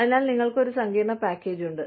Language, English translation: Malayalam, So, you have a complex package